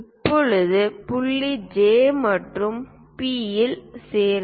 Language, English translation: Tamil, Now, join point J and P